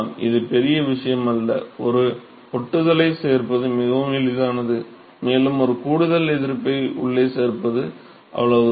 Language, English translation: Tamil, It is not a big deal; it is very easy just adding one sticking, one more extra resistance inside that is all